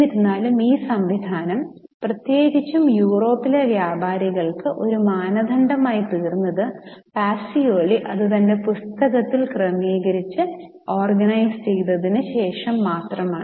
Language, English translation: Malayalam, However, the system became a standard for merchants, especially in Europe, only after Pakioli structured and organized it in his book